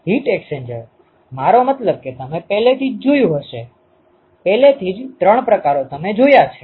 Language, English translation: Gujarati, So, heat exchanger, I mean as you have already seen; already three types you have seen